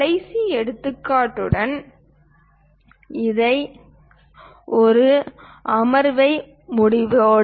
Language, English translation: Tamil, Let us close this a session with last example